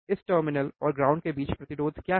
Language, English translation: Hindi, What is the resistance between this terminal and ground, right